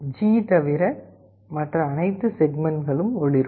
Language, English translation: Tamil, All the segments other than G will be glowing